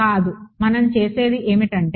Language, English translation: Telugu, No what we do is